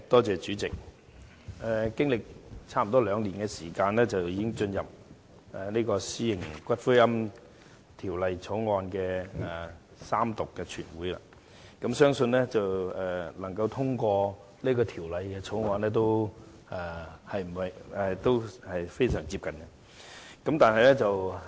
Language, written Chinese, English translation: Cantonese, 主席，經歷接近兩年時間，現在《私營骨灰安置所條例草案》已進入全體委員會審議階段及將會進行三讀，相信也快要獲得通過了。, Chairman after almost two years the Private Columbaria Bill the Bill has now come to the Committee stage and will be read the Third time and I believe it will be passed soon